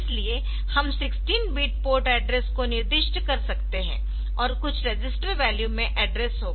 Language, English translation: Hindi, So, we can specify a 16 bit port address and some registered value will have the address whatever be the content of this DX register